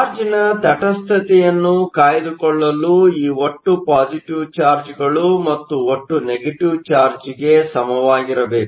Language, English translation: Kannada, In order to maintain the neutrality of charge, this total positive charge must be equal to the total negative charge